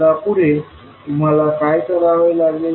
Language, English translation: Marathi, Now next, what do you have to do